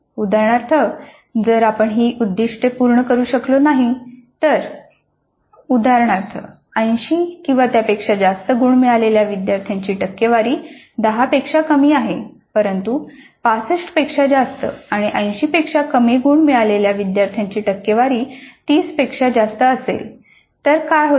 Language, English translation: Marathi, If we are not able to meet these targets in the sense for example, percentage of students getting greater than are equal to 80 is less than 10, but percentage of students getting more than 65 and less than 80 is greater than 30